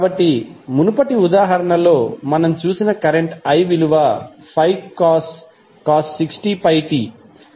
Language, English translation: Telugu, So, current i which we saw in the previous example was 5 cos 60 pi t